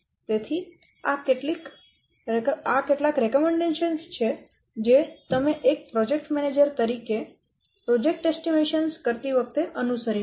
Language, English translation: Gujarati, So, these are some of the recommendations that you may follow as a project manager while carrying out project estimations